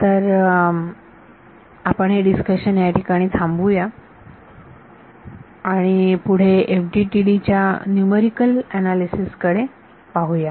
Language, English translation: Marathi, So, we will close this discussion now and next we look at numerical analysis of FDTD